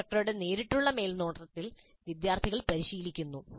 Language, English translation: Malayalam, And under the direct supervision of the instructor, students are practicing